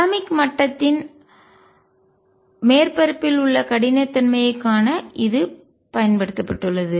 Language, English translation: Tamil, And this has been used to see the roughness in the surface of the atomic level